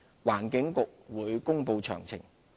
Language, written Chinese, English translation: Cantonese, 環境局會公布詳情。, The Environment Bureau will announce the details